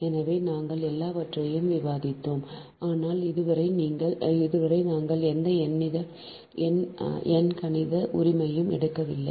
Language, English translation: Tamil, so we have discussed all the, but so far we have not taken any numericals right